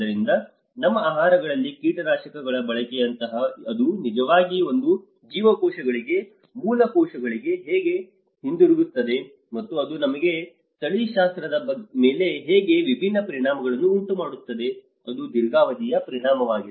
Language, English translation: Kannada, So, also the pesticidization like usage of heavy pesticides in our foods, how it is actually going back to our cells, basic cells, and how it is creating a different effects on our genetics, that is also the long run impacts